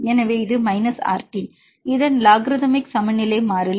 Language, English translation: Tamil, So, this is minus RT; logarithmic of this equilibrium constant